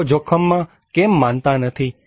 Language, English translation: Gujarati, Why people are not believing risk